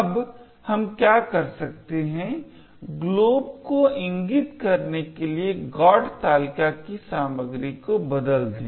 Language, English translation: Hindi, Now what we can do is change the contents of the GOT table to point to glob